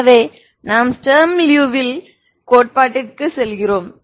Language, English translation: Tamil, So this we move on to Sturm Liouville theory